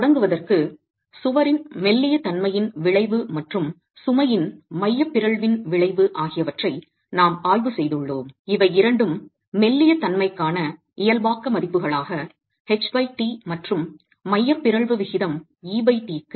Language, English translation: Tamil, And to begin with we have examined the effect of the slenderness of the wall and the effect of the eccentricity of the load represented both as normalized values, H by T for the slenderness and E by T for the eccentricity ratio